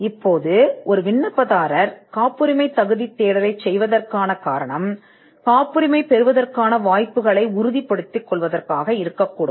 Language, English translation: Tamil, Now, the reason an applicant may want to do a patentability search is to determine the chances of obtaining a patent